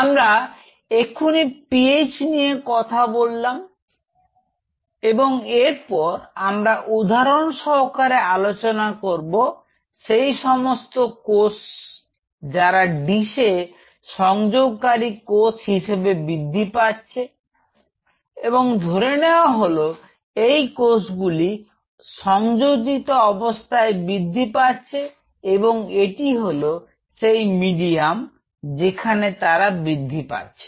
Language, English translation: Bengali, So, here we have now talked about the PH, the next what will be talking about is see for example, here the cells are growing in a dish adhering cell assuming that these are all adhering cells and these adhering cells are dividing, this is the medium where they are growing